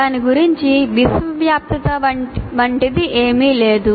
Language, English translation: Telugu, So there is nothing like universality about it